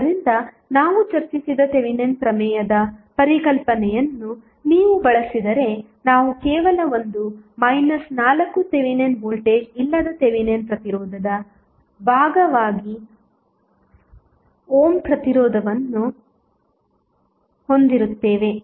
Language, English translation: Kannada, So, if you use that concept of Thevenin theorem which we discussed we will have only 1 minus 4 ohm resistance as part of the Thevenin resistance with no Thevenin voltage